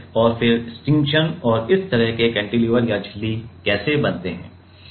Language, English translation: Hindi, And then stiction and how this kind of cantilevers or membranes are made